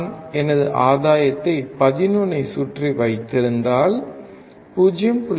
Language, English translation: Tamil, If I keep my gain around 11, then 0